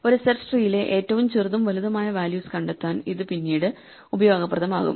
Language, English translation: Malayalam, It will be useful later on to be able to find the smallest and largest values in a search tree